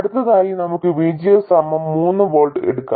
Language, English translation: Malayalam, Next let's take VGS equals 3 volts